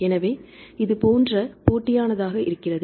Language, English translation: Tamil, So, it is very competitive right